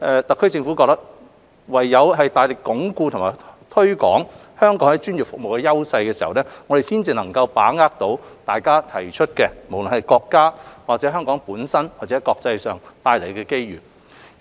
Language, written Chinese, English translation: Cantonese, 特區政府認為唯有大力鞏固和推廣香港在專業服務的優勢，我們才能把握大家所提出的，無論在國家、香港或國際上的機遇。, The Government is of the view that only by making strenuous effort to enhance and promote Hong Kongs strengths in professional services can we grasp the opportunities at the national local or international level as mentioned by Members